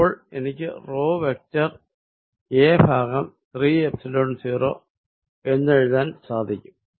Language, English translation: Malayalam, So, I can write this as rho vector a over 3 Epsilon 0, this is very interesting result